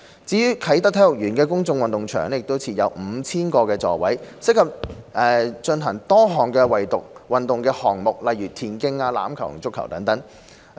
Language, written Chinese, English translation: Cantonese, 至於啟德體育園的公眾運動場，設有 5,000 個座位，適合進行多種運動項目，如田徑、欖球和足球。, The 5 000 - seat Public Sports Ground of the Sports Park is also suitable for various sports such as athletics rugby and football